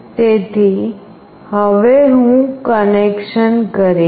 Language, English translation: Gujarati, So now, I will be doing the connection